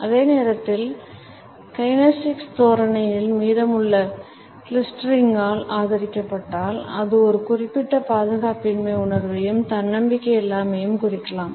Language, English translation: Tamil, However, at the same time if it is supported by the rest of the clustering of our kinesics postures it can also indicate a certain sense of insecurity and lack of self confidence